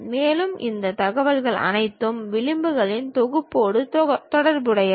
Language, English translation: Tamil, And, all this information is related to set of edges